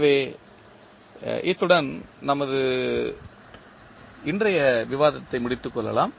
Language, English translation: Tamil, So, with this we can close our today’s discussion